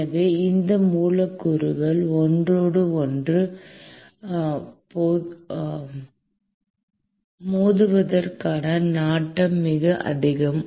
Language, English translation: Tamil, And so, the propensity for these molecules to collide with each other is very high